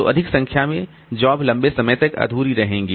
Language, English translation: Hindi, So, more number of jobs will remain incomplete for a longer time